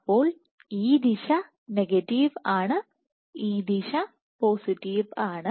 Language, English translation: Malayalam, So, this direction is negative this direction is positive